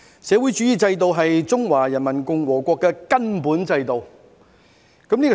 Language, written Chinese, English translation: Cantonese, "社會主義制度是中華人民共和國的根本制度。, The socialist system is the basic system of the Peoples Republic of China